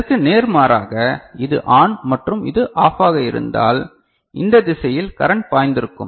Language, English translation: Tamil, In contrast, had it been the case that this is ON and this is OFF ok, then current would have flown in this direction this is right ok